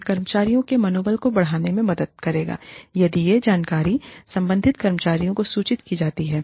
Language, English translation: Hindi, It will help boost the, morale of the employees, if this information is communicated to the concerned employees